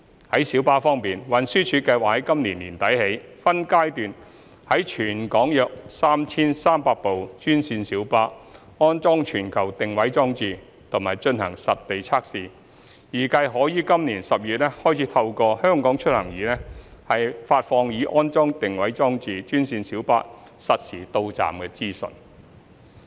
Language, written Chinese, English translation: Cantonese, 在小巴方面，運輸署計劃由今年年底起，分階段在全港約 3,300 部專線小巴安裝全球定位裝置及進行實地測試，預計可於今年12月開始透過"香港出行易"發放已安裝定位裝置的專線小巴實時到站資訊。, As for minibuses TD plans to install GPS devices on some 3 300 green minibuses in Hong Kong in phases and conduct on - site testing starting from the end of this year . It is expected that real - time arrival information of green minibuses installed with GPS devices will be disseminated via HKeMobility starting from December this year